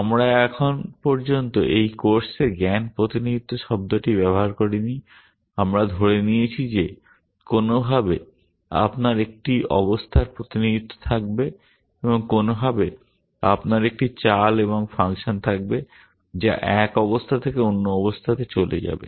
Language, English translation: Bengali, We have so far not used the word knowledge representation at all in this course, we have assumed that somehow you will have a state representation and somehow you will have a moves and function which will